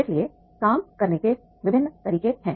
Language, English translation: Hindi, So, there are different methods of working